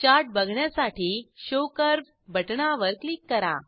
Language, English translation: Marathi, Click on Show curve button to view the Chart